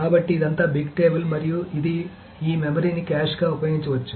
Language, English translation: Telugu, So this is all big table and it can use this memory as a cache